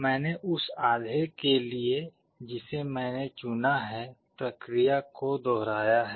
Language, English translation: Hindi, I repeat the process for the half that I have selected